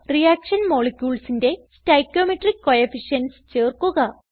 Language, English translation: Malayalam, Add stoichiometric coefficients to reaction molecules